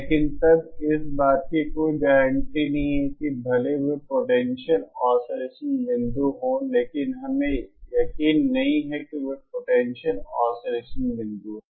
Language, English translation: Hindi, But then there is no guarantee that even though they are potential oscillation points we are not sure whether they are stable oscillation points